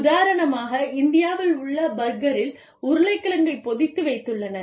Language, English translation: Tamil, For example, the burger in India, has a potato patty, in it